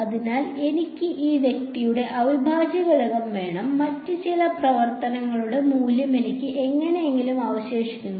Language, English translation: Malayalam, So, I wanted the integral of this guy and I am somehow left with the value of some other function only ok